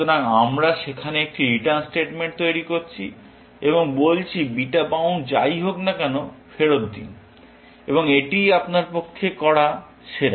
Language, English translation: Bengali, So, we are making a return statement there, and say, return whatever beta bound is and that is the best you can do with this